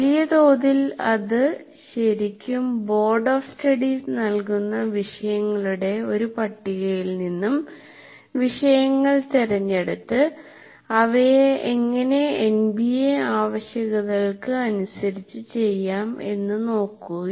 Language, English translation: Malayalam, By and large it is really selecting a list of topics which is done by Board of Studies and then trying to see how we can bring it into in alignment with NBA requirements